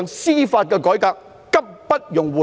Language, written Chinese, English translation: Cantonese, 司法改革刻不容緩。, Judicial reform is an urgent task that brooks no delay